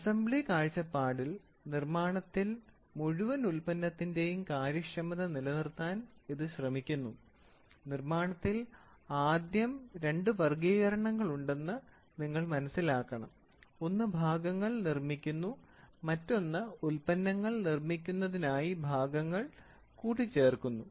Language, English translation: Malayalam, May be from the assembly point of view, this is very important such that it tries to maintain the efficiency of the entire product see in manufacturing you should understand first there in manufacturing you have two classifications; one is making a part and the other one is assembling the part to make a product